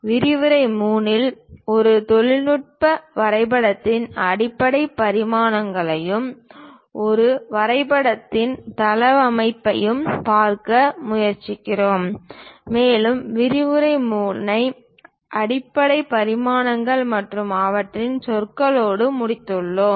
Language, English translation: Tamil, In lecture 3, we try to look at basic dimensions of a technical drawing and the layout of a drawing sheet and we have ended the lecture 3 with basic dimensions and their terminology